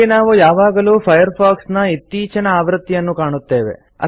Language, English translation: Kannada, Here, we can always find the latest version of Firefox